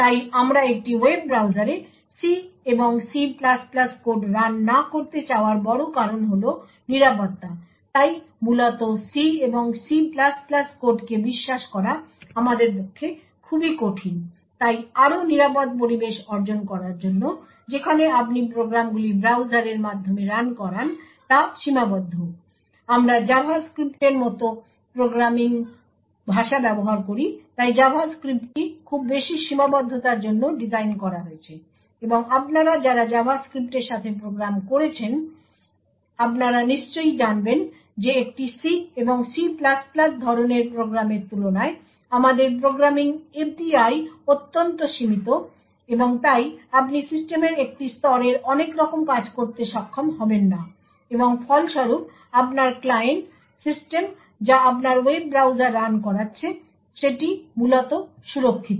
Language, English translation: Bengali, So the big reason why we do not want to run C and C++ code in a web browser is security, so essentially it is very difficult for us to trust C and C++ code therefore in order to achieve a more secure environment where the programs that you run through your browser is limited to what it can actually do we use programming languages like JavaScript, so JavaScript is designed to be highly restrictive and as many of you who would have programmed with JavaScript you would be aware that the compared to a C and C++ type of program the program the programming API is our highly limited and therefore you would not be able to do a lot of system a level tasks and as a result your client system which is running your web browser is essentially protected